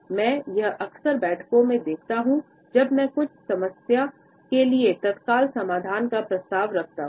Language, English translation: Hindi, ” Something I can often see in meetings, when I propose an urgent solution for certain problem